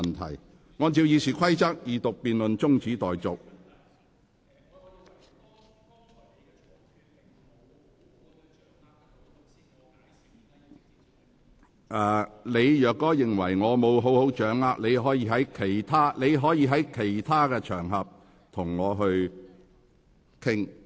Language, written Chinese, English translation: Cantonese, 范國威議員，如你認為我未能掌握你的論點，你可以在其他場合與我討論。, Mr Gary FAN if you consider that I fail to grasp your points you may discuss with me on other occasions